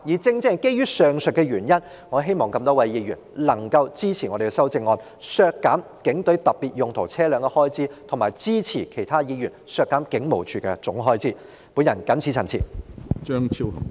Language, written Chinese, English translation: Cantonese, 正正基於上述原因，我希望各位議員能夠支持我們的修正案，削減警隊特別用途車輛的預算開支，並支持其他議員削減警務處其他預算開支的修正案。, Precisely for the aforementioned reasons I hope all Members will support our amendments to reduce the estimated expenditure on police specialized vehicles and the amendments proposed by other Members to reduce other estimated expenditure for the Police Force